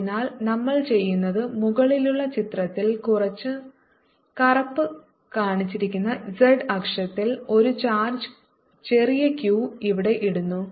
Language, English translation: Malayalam, so what we are doing is we are putting a charge, small q, here on the z axis shown by black on the top figure